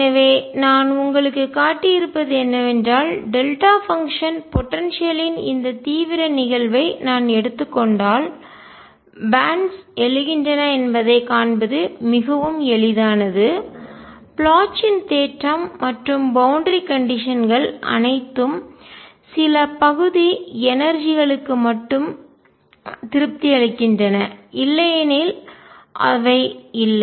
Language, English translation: Tamil, So, what I have shown you is that if I take this extreme case of delta function potential it is very easy to see that bands arise solution exist, the Bloch’s theorem and boundary conditions all are satisfied only for certain regions of energy, otherwise they are not